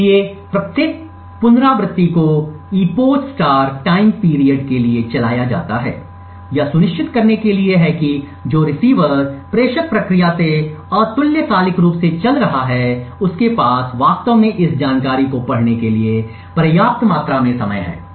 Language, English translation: Hindi, So each iteration is run for epoch * TIME PERIOD, this is to ensure that the receiver which is running asynchronously from the sender process has sufficient amount of time to actually read this information